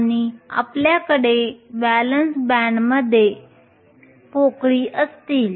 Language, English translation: Marathi, And we will have holes in the valence band